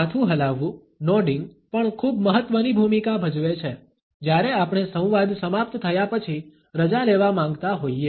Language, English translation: Gujarati, Head nodding also plays a very important role, when we want to take leave after the dialogue is over